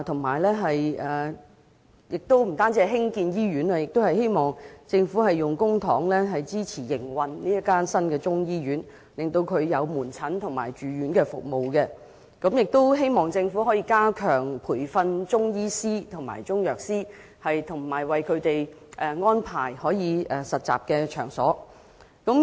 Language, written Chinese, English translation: Cantonese, 除此之外，我們希望政府能運用公帑支持新中醫醫院的營運，以提供門診及住院服務，亦希望政府能加強培訓中醫師及中藥師，為他們安排實習場所。, Apart from that we hope the Government can support the operation of the new Chinese medicine hospital with public funds for the provision of outpatient and inpatient services and that it can step up training for Chinese medicine practitioners and pharmacists offering them an intership venue